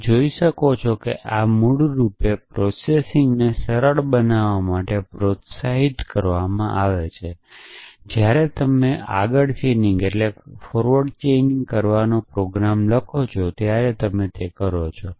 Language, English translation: Gujarati, You can see that this is basically motivated to simplify the processing that you do when you write a program to do forward chaining essentially